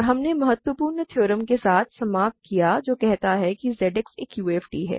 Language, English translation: Hindi, And we ended with the important theorem which says Z X is a UFD